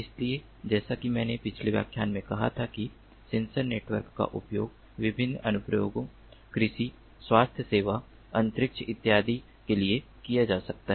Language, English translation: Hindi, so sensor networks, as i said in a previous lecture, can be used for serving different applications: agriculture, healthcare, space, and so on and so forth